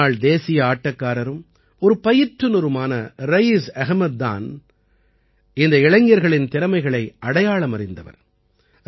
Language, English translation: Tamil, Raees Ahmed, a former national player and coach, recognized the talent of these youngsters